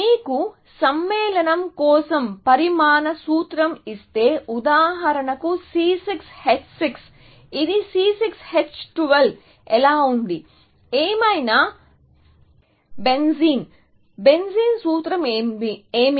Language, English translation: Telugu, So, you know that if you are given a molecular formula for a compound, for example, C6 H6; how was it C6 H12; whatever, benzene; what is the formula for benzene